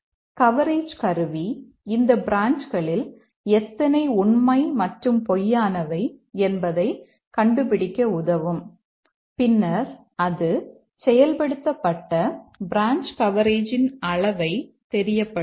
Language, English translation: Tamil, And then the coverage tool can find out how many of these branches through and falls are taken and then it will report the extent of branch coverage achieved